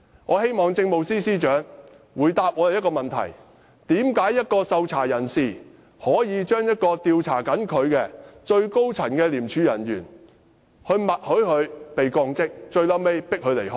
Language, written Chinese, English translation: Cantonese, 我希望政務司司長回答我們一個問題：為何一名受調查人可以默許正在調查他的廉署最高層人員降職，最後迫使她離職？, This constitutes a serious misconduct and even an illegal act . I would like to ask the Chief Secretary to answer one question Why could a person under investigation tacitly agree to the demotion of the most senior ICAC officer investigating him finally forcing her to leave office?